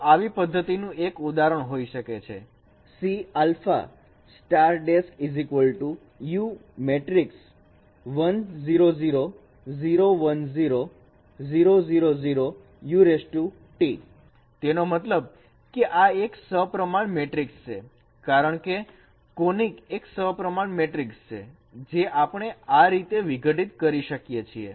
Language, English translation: Gujarati, That means since this is a symmetric matrix because conic is a symmetric matrix, we can decompose in this way